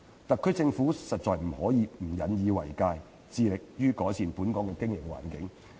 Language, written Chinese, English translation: Cantonese, 特區政府實在不能不引以為戒，致力於改善本港的營商環境。, The SAR Government must be vigilant and strives to improve the business environment of Hong Kong